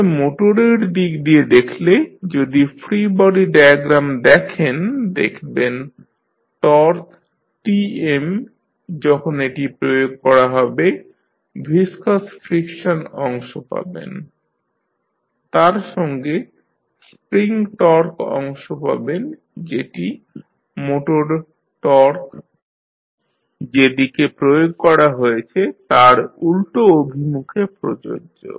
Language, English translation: Bengali, So, from the motor side, if you see the free body diagram you will see that the torque Tm when it is applied, you will have the viscous friction part plus spring torque part applicable in the opposite direction of the motor torque applied